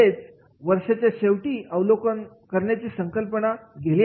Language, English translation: Marathi, It is at the end of the year the concept has gone